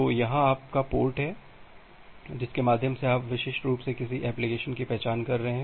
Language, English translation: Hindi, So, here is your port through which you are uniquely identifying an application